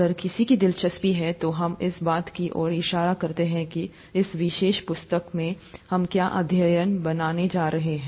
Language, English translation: Hindi, If somebody’s interested, we can point that out to them what chapters we are going to do in this particular book